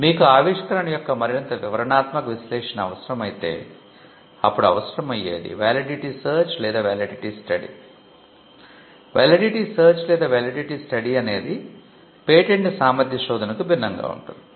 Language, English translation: Telugu, If you require a more detailed analysis of the invention, then what is needed is what we called a validity search or a validity study